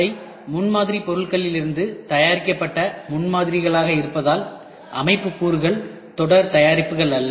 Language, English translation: Tamil, As they are prototypes made from prototyping materials, the system elements are no series products